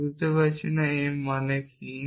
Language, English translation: Bengali, It does not understand what does m stands for